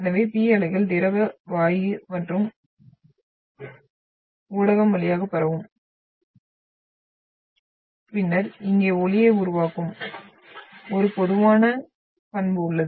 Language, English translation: Tamil, So P waves will propagate through liquid, gas and medium gas medium and then it has a typical characteristic of producing sound here